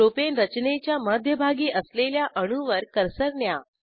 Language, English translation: Marathi, Place the cursor near the central atom of Propane structure